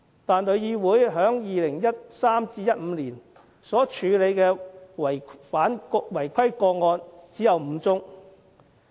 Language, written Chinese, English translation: Cantonese, 但是，旅議會在2013年至2015年所處理的違規個案只有5宗。, Nevertheless TIC had handled only five cases of non - compliance from 2013 to 2015